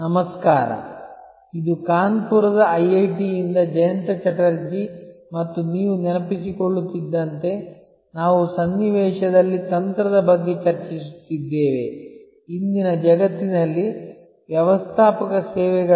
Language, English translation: Kannada, Hello, this is Jayanta Chatterjee from IIT, Kanpur and as you recall we are discussing about strategy in the context of Managing Services in today's world